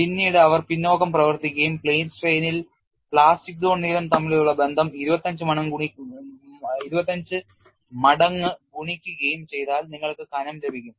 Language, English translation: Malayalam, Later on they work back work and found a relationship between plastic zone lengths in plane strain multiplied by 25 times gives to the thickness